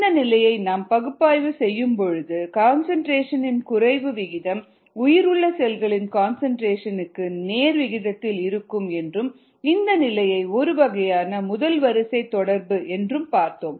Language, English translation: Tamil, we said that we could analyze ah this situation if we considered the rate of decrease in concentration to be directly proportional to the concentration of viable cells, a sort of a first order relationship